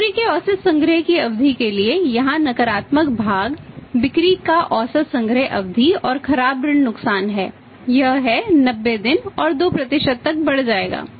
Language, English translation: Hindi, For the average collection period of the sales the negative part here is the average collection period of the sales and the bad debt losses will increase to 90 days and the 2% respectively